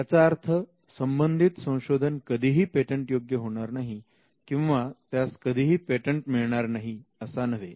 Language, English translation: Marathi, You do not say that the invention is never patentable or you do not say that the invention cannot be patented